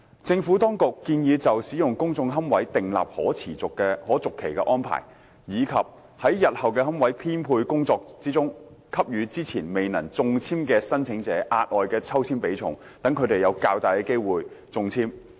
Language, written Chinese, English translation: Cantonese, 政府當局建議就使用公眾龕位訂立可續期安排，以及在日後的龕位編配工作中，給予之前未能中籤的申請者額外的抽籤比重，讓他們有較大的中籤機會。, The Administration proposed to introduce an extendable arrangement for the use of public niches and to give additional ballot weightings to unsuccessful applications in the coming and future allocation exercises so that they would stand a higher chance of success